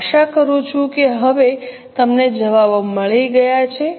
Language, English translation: Gujarati, I hope you have got the answers now